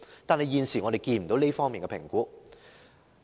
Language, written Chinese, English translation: Cantonese, 不過，現時卻沒有這方面的評估。, But there is no such assessment at present